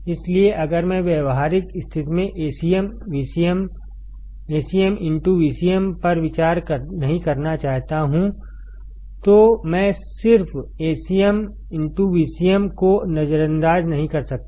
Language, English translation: Hindi, So, if I do not want to consider Acm into Vcm in practical situation then I cannot just ignore Acm into Vcm